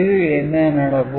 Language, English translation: Tamil, Then what is happening